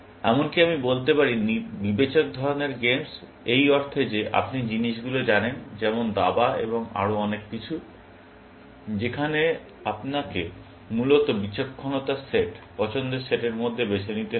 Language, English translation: Bengali, I might even say, discreet games, in the sense that you know things, like chess and so on, where, you have to choose between the set of discreet, set of choices, essentially